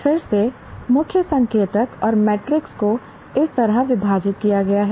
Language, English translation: Hindi, Again, key indicators and metrics are divided like this